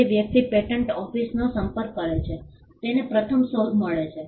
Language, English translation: Gujarati, The person who approaches the patent office first gets the invention